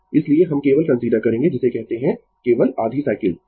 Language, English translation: Hindi, So, we will consider only your what you call only the half cycle right